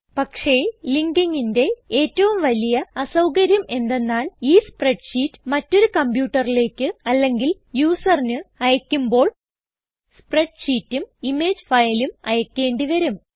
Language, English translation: Malayalam, However, one major Disadvantage of linking the file is that, Whenever you want to send this spreadsheet to a different computer or user, You will have to send both, the spreadsheet as well as the image file